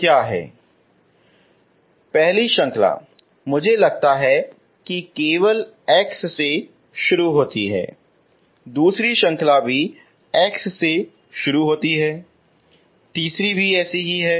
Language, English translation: Hindi, So first series I think only starts from x, second series also starts from x, third is also like that